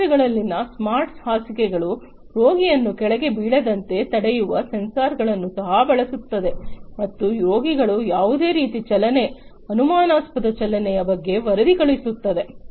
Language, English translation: Kannada, Smart beds in the hospitals also use sensors that prevent the patient from being falling down and sending report about any kind of movement, suspicious movement of the patients